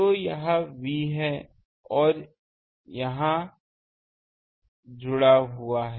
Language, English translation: Hindi, So, this is V, this is connected here